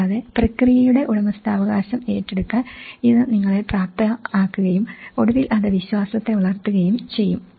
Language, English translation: Malayalam, And also it can enable you to know take the ownership of the process and that eventually, it will build the trust